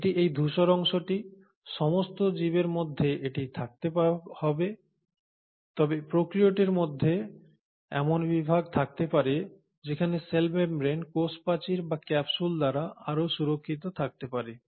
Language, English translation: Bengali, Now this has to be there in all the organisms, but within prokaryotes you can have categories where in the cell membrane may be further protected by a cell wall or a capsule